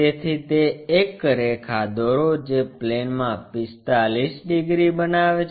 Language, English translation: Gujarati, So, draw that resting one line which is making 45 degrees on the plane